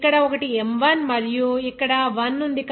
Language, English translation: Telugu, Here 1 is M1 and here is 1